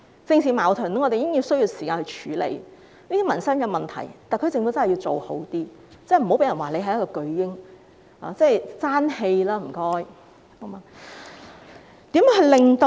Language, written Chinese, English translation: Cantonese, 我們已經需要時間處理政治矛盾，對於民生問題，特區政府一定要做得好一點，不要被人說是"巨嬰"，請政府爭氣吧！, We already need time to deal with the political conflicts . As regards the livelihood issues the SAR Government must do a better job . Do not let people call it a giant baby